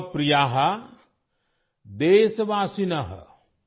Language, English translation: Odia, Mam Priya: Deshvasin: